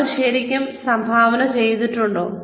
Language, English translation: Malayalam, Are they really contributing